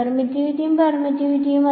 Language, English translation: Malayalam, Permittivity and permeability